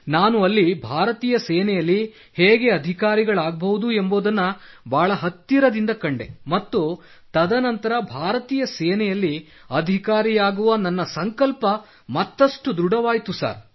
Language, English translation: Kannada, Sir, there I witnessed from close quarters how officers are inducted into the Indian Army … and after that my resolve to become an officer in the Indian Army has become even firmer